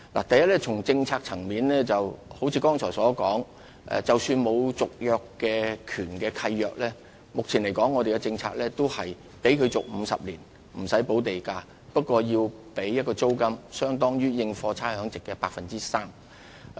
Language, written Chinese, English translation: Cantonese, 第一，從政策層面而言，正如剛才所說，即使沒有續約權的契約，按照現行政策仍可獲續期50年而無須補繳地價，但須繳納租金，款額相當於有關土地應課差餉租值的 3%。, To begin with on the policy level as I mentioned just now even leases not containing a right of renewal may upon expiry and in accordance with the existing policy be extended for a term of 50 years without payment of an additional premium; however they are subject to a payment of a rent at 3 % ratable value of the property